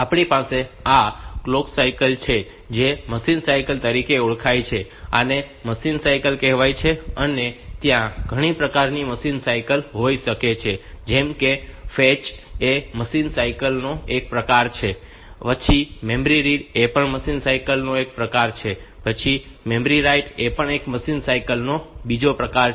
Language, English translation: Gujarati, This is something called machine cycle, and these machine cycle there can be several type of machine cycle like this fetch is a type of machine cycle, then memory read is a type of machine cycle then memory write is another type of machine cycle, this memory write is another type